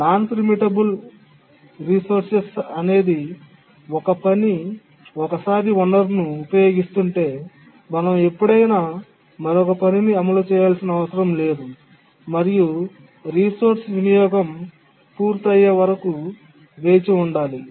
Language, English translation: Telugu, A non preemptible resource is one where once a task is using the resource, we cannot preempt it any time that we need to another task to run, need to wait until the task completes use of the resource